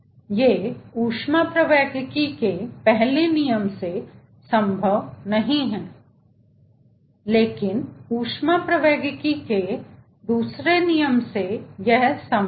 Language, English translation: Hindi, these are not possible from first law of thermodynamics, but from second law of thermodynamics these things are possible